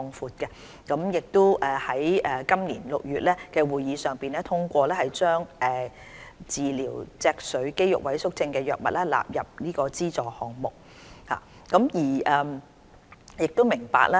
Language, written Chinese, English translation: Cantonese, 扶貧委員會已於今年6月的會議上通過把治療脊髓肌肉萎縮症的藥物納入關愛基金極度昂貴藥物援助項目。, In a meeting held in June the Commission on Poverty endorsed the expansion of the Ultra - expensive Drugs Programme under the Community Care Fund to cover a drug for the treatment of spinal muscular atrophy